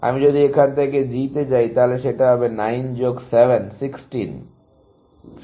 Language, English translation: Bengali, If I go to G from here, it is going to be 9 plus 7, 16